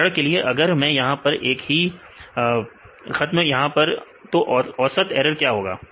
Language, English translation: Hindi, For example, if I put a line here right here what is the average error